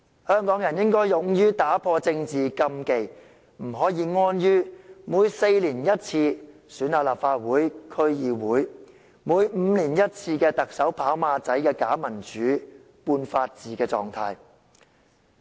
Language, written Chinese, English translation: Cantonese, 香港人應該勇於打破政治禁忌，不可以安於每4年一次的立法會和區議會選舉，以及每5年一次的特首選舉"跑馬仔"的假民主、半法治的狀態。, Hong Kong people should dare break political taboos and not take comfort in the Legislative Council Election and District Council Elections held once every four years as well as the status of pseudo - democracy and quasi - rule of law created by the horse race Chief Executive Election once every five years